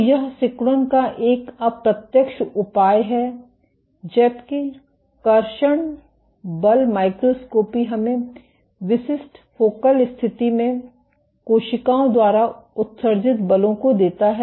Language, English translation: Hindi, So, this is an indirect measure of contractility, while traction force microscopy gives us forces exerted by cells at distinct focal condition